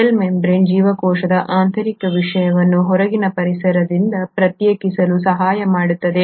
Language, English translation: Kannada, The cell membrane helps in segregating the internal content of the cell from the outer environment